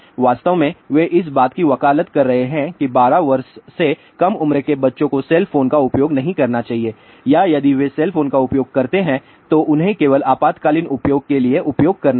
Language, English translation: Hindi, In fact, they are advocating that children below 12 year should not use cell phone or if at all they use cell phone they should use it only for emergency use